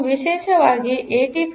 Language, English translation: Kannada, so, just like 8085